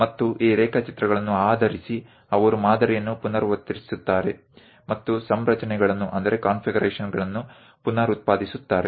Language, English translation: Kannada, And based on those drawings, they repeat the pattern and reproduce the configurations